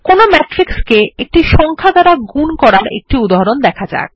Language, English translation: Bengali, Next, let us see an example of multiplying a matrix by a number